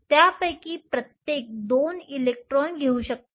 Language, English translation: Marathi, Each of them can take 2 electrons